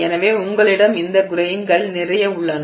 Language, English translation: Tamil, So, you have a lot of these grains